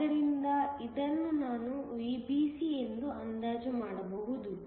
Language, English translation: Kannada, So, this I can approximate as VBC